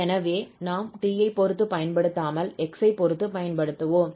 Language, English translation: Tamil, So we will apply just with respect to x